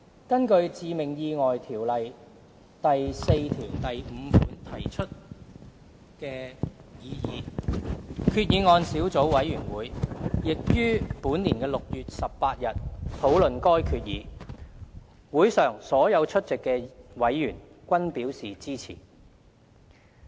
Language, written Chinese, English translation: Cantonese, 根據《條例》第45條提出的擬議決議案小組委員會亦於2018年6月18日討論該決議，會上所有出席的委員均表示支持。, The Governments proposal was also discussed before the Subcommittee on Proposed Resolution under Section 45 of the Fatal Accidents Ordinance Cap . 22 at its meeting of 18 June 2018 during which all members present expressed support